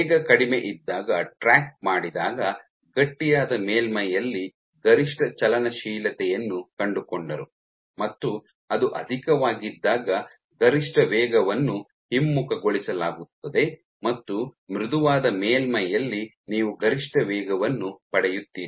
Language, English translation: Kannada, So, when they track the speed when it was low you found maximums motility on a stiff surface when it was low, when it was high then the maximum speed was reversed and you got the maximum speed on a softer surface